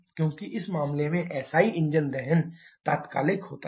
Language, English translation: Hindi, Because like in case SI engine combustion to be instantaneous